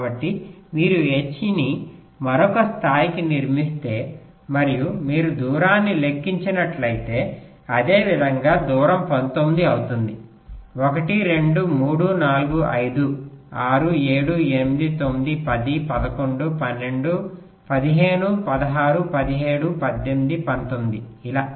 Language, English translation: Telugu, so so if you construct this h up to another level and if you calculate the distance similarly, the distance will be nineteen: one, two, three, four, five, six, seven, eight, nine, ten, eleven, twelve, fifteen, sixteen, seventeen, eighteen, nineteen, like this